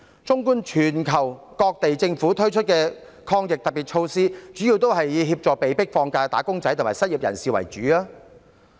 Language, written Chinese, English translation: Cantonese, 綜觀全球各地政府推出的抗疫特別措施，主要是協助被迫放假的"打工仔"和失業人士。, Taking an overall view of the special measures launched by governments around the world one would see that they mainly assist wage earners forced to take leave and the unemployed